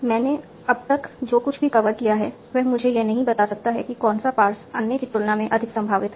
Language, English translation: Hindi, Whatever I have covered till now, it cannot tell me which pass is more probable than another